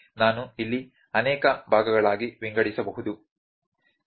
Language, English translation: Kannada, I can see I can divide into multiple parts here, ok